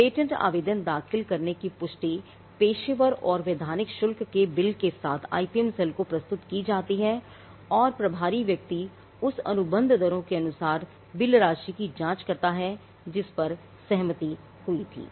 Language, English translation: Hindi, A confirmation of filing the patent application is submitted to the IPM cell along with the bill for professional and statutory fees and the person in charge checks the billed amount against the contract rates there had been agreed